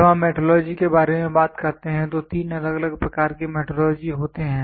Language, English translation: Hindi, When we talk about metrology there are three different types of metrology